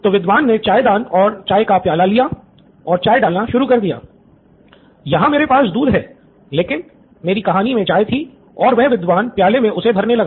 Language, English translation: Hindi, So he took the tea pot and started pouring tea I have milk here but in my story there was tea and he started filling it up with tea